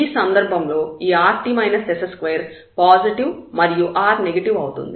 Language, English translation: Telugu, So, here when we have this rt minus s square positive and r is negative